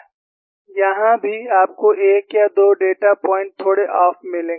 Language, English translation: Hindi, Even here, you will find 1 or 2 data points are slightly off